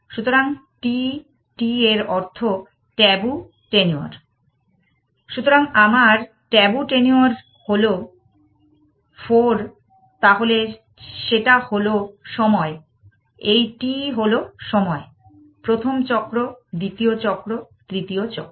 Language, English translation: Bengali, So, my tabu tenure is 4 then and that is time, this t is time, the first cycle, the second cycle, the third cycle